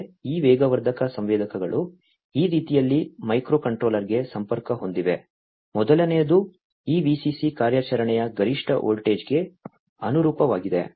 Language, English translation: Kannada, These accelerometer sensors are connected to a microcontroller in this manner, the first one corresponds to this VCC the maximum voltage of operation